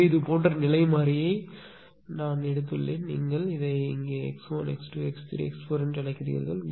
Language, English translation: Tamil, So, I have taken state variable like this you are what you call here x 1, x 1, x 2, x 3, x 4